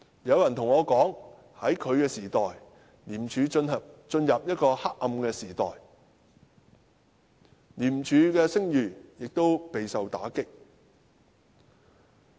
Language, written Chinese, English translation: Cantonese, 有人告訴我，在他作為專員的時代，廉署進入了一個黑暗時代，廉署的聲譽亦備受打擊。, I have been told that since he became the Commissioner ICAC has entered a dark age not to mention that the reputation of ICAC has been hard hit